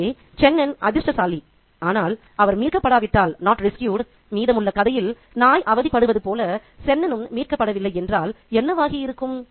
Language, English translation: Tamil, So, Chennan has been lucky, but what if he had not been rescued is the story that the dog suffers in the rest of the narrative